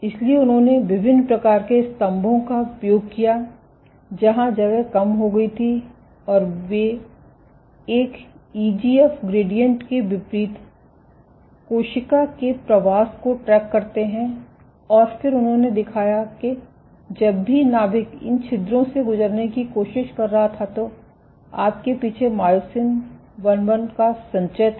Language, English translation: Hindi, So, if a cell is migrating So, they used a variety of pillars, where the spacing was reduced and they track the cell migration against an EGF gradient, and then they showed that whenever the nucleus was trying to pass through these pores you had an accumulation of myosin II at the rear